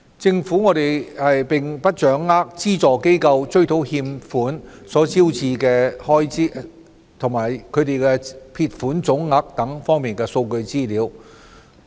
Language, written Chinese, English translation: Cantonese, 政府並不掌握資助機構追討欠款所招致的開支。或撇帳總額等方面的數據資料。, The Government does not have any information on the expenditures incurred by subvented organizations for the recovery of default payments nor statistics on the total amounts written off by them